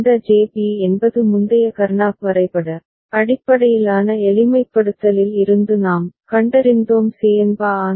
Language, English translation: Tamil, And this JB is we have found from the previous Karnaugh map based simplification is Cn bar An